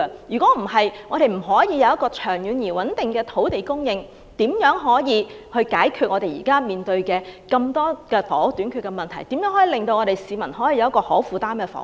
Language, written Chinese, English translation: Cantonese, 如果不能有長遠而穩定的土地供應，又如何解決現時房屋短缺的嚴重問題？如何為市民提供可負擔的房屋？, If we cannot secure a long - term and steady land supply how can we address the present problem of acute housing shortage and how can we provide affordable housing for members of the public?